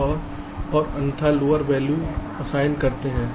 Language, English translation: Hindi, if otherwise you assign a lower value